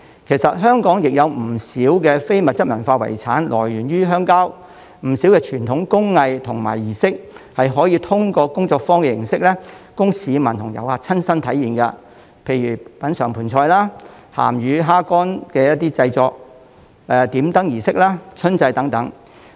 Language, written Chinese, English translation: Cantonese, 其實，香港亦有不少非遺來源於鄉郊，不少傳統工藝和儀式是可以通過工作坊形式供市民和遊客親身體驗，例如品嘗盆菜、製作鹹魚蝦乾、參與點燈儀式、春祭等。, Actually Hong Kong also has many ICH items which come from the rural areas and many of our traditional craftsmanship and rituals can be experienced first - hand by members of the public and tourists through workshops like having basin feast making salted fish and dried shrimps participating in the lantern lighting ceremony the spring ancestral worship of clans etc